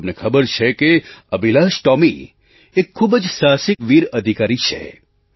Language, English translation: Gujarati, You know, AbhilashTomy is a very courageous, brave soldier